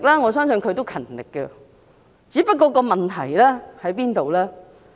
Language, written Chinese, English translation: Cantonese, 我相信她勤力工作，只是問題出在哪裏？, I believe she is working hard . Where does the problem lie?